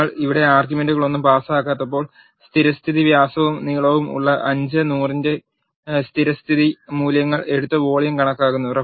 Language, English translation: Malayalam, When you do not pass any arguments here it takes the default values of 5 and 100 which are default diameter and length and then calculates the volume